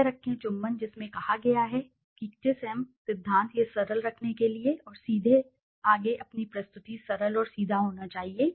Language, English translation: Hindi, Keep it Kiss Em principle of kiss which states: keep it simple and straight forward your presentation should be simple and straightforward